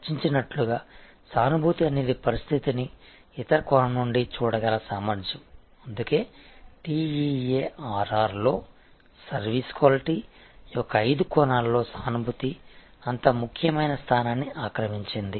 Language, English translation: Telugu, An empathy as a discussed is the ability to see the situation from the other perspective; that is why in the TEARR, the five dimensions of service quality empathy occupy such an important place